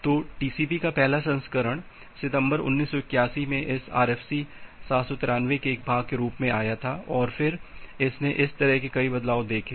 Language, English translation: Hindi, So, the first version of TCP came in September 1981 as a part of this RFC 793, and then it has seen many such changes